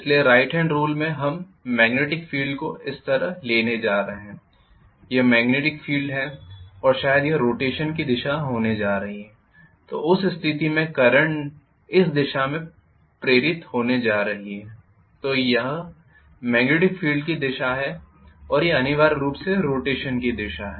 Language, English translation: Hindi, So in the right hand rule I am going to have let us say the magnetic field like this, this is the magnetic field and probably this is going to be the direction of rotation then in that case I am going to have the current induced in this direction